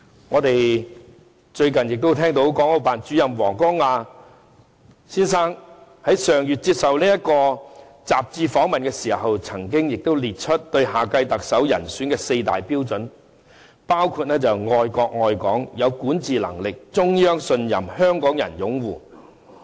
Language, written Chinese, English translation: Cantonese, 我們最近亦聽到國務院港澳事務辦公室主任王光亞先生在上月接受雜誌訪問時，列出對下屆特首人選的四大標準，包括愛國愛港，有管治能力，中央信任，香港人擁護。, Recently Mr WANG Guangya Director of the Hong Kong and Macao Affairs Office of the State Council listed four prerequisites for the next Chief Executive during an interview with a magazine last month namely love the country love Hong Kong having governance capability trusted by the Central Authorities and supported by Hong Kong people